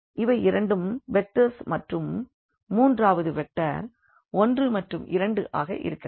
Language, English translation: Tamil, So, these two vectors so, these two vectors and the third vector is 1 and 2